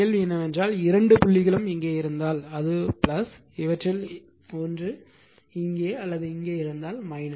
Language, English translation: Tamil, So, question is that if both dots are here, it will be plus if either of this either it is here or here or it is here